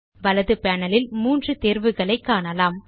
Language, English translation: Tamil, On the right panel, we see three options